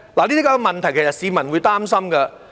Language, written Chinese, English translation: Cantonese, 這些問題，其實市民是會擔心的。, In fact the public are worried about these issues